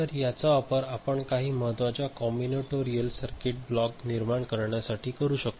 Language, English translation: Marathi, So, this we can utilize in generating various important you know, combinatorial circuit block ok